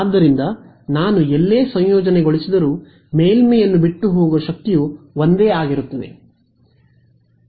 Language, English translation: Kannada, So, I whether I integrate here or here the power that is leaving the surface going to be the same